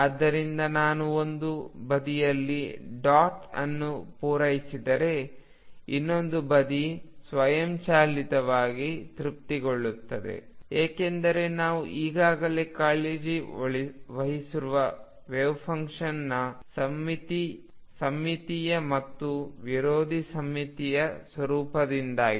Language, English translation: Kannada, So, if I satisfy dot on one side the other side will automatically be satisfied, because of the symmetric and anti symmetric nature of wave function that we have already taken care of